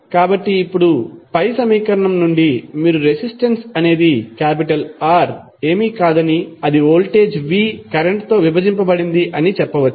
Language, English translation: Telugu, So, now from the above equation you can simply say that resistance R is nothing but, voltage V divided by current